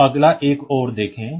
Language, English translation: Hindi, So, next see another one